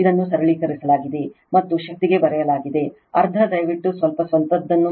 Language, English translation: Kannada, It is simplified and written to the power minus half you please do little bit of your own